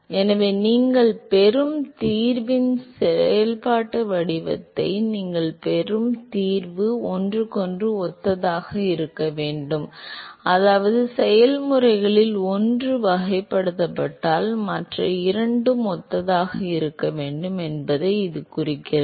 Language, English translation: Tamil, So, therefore, the solution that you get the functional form of the solution that you get they have to be similar to each other, which also means that; this also implies that if one of the processes is characterized, then other two must be similar